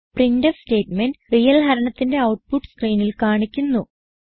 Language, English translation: Malayalam, The printf statement displays the output of real division on the screen